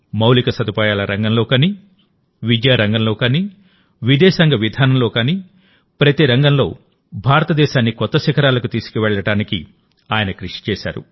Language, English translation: Telugu, Be it infrastructure, education or foreign policy, he strove to take India to new heights in every field